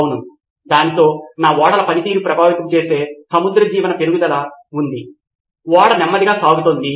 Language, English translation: Telugu, Yeah, for that but there is marine life growth which affects my ships performance, it’s going slower